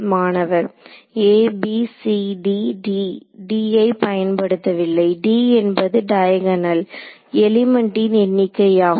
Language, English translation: Tamil, a b c d d; d has not been used d, d is the number of off diagonal elements ok